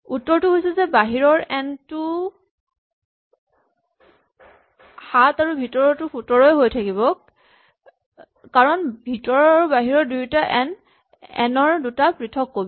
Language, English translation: Assamese, So the answer is that n is still 7 and that is because the n inside and the n outside are two different copies of n